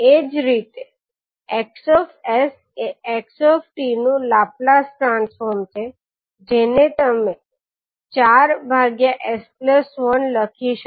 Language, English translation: Gujarati, Similarly sX is nothing but Laplace transform of xt so you can simply write it as four upon s plus one